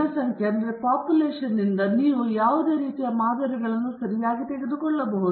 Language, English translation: Kannada, From a population, you can take any number of samples okay